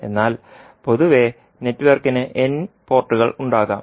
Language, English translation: Malayalam, But in general, the network can have n number of ports